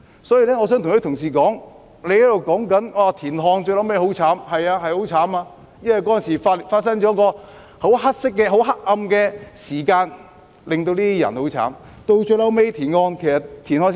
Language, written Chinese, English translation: Cantonese, 所以，我想跟同事說，他們提到田漢最後的下場很悲慘，那的確很慘，因為當時發生了十分黑暗的事件，令這些人的生活很悲慘。, Therefore I would like to say this to colleagues here . They mentioned the tragic end of TIAN Han which is lamentable indeed because a most dreadful incident occurred back then making the lives of these people awfully miserable